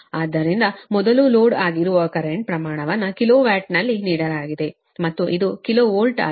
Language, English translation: Kannada, so first you find out that magnitude of the current, it is load, is given at kilo watt and this is kilo volt of course